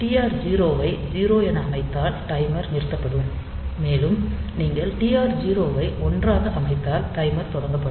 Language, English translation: Tamil, So, TR 0 if you set this bit to 0, then the timer will be stopped, and if you set the TR b to 1, then the timer will be started